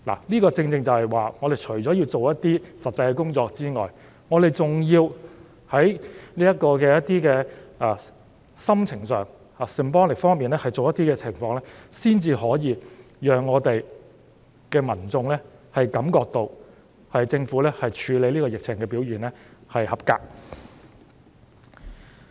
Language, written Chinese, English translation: Cantonese, 這正正是說明除了要做一些實際事情外，我們還要在心情上和 symbolic 方面有一些行動，才可以讓民眾感覺到政府處理疫情的表現合格。, This precisely explains the point that apart from doing practical things it is also necessary to take actions targeting sentiments or emotions and actions that are symbolic in nature . Only in this way will the public feel that the Governments performance is up to par in handling the epidemic